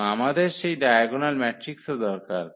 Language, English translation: Bengali, So, what is the diagonalization of the matrix